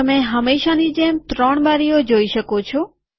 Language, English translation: Gujarati, You see three windows as usual